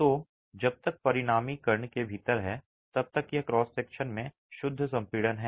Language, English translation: Hindi, So, as long as the resultant is within the kern, it is pure compression in the cross section